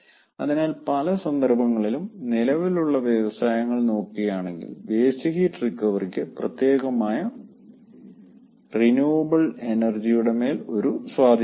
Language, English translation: Malayalam, so in many cases we will find, particularly for existing industries, we will find that um, waste heat recovery can have a leverage over the renewables and in other cases what it could be